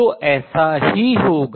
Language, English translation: Hindi, So, this is what would happen